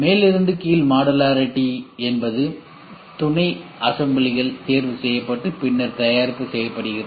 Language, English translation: Tamil, Top down modularity is sub assemblies are chosen and then the product is made